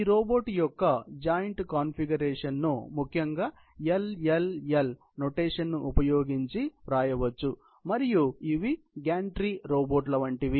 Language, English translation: Telugu, This configuration of the robot is typically, joint notified as LLL ok and these are like gantry robots